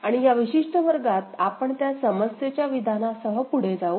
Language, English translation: Marathi, And in this particular class, so we shall move ahead with that problem statement